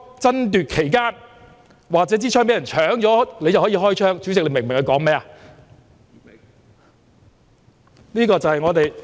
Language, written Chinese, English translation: Cantonese, 爭奪期間或者槍已被搶走，便可以開槍，主席，你明白他說甚麼嗎？, The police could only fire during the scrambling for the gun or when the gun was snatched . President do you understand this remark?